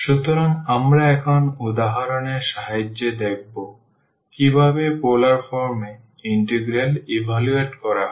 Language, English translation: Bengali, So, we will see with the help of examples now how to evaluate integrals in polar form